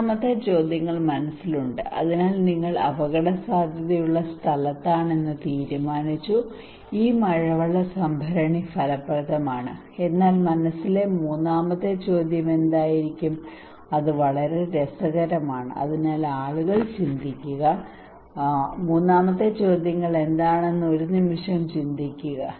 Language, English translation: Malayalam, Third questions in mind so you decided that okay you are at a risky place this rainwater tank is effective, but what would be the third question in mind that is very interesting is it not it so just think for a second what is the third questions possibly people think